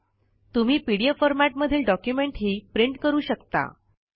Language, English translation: Marathi, You can also take a print out of your pdf document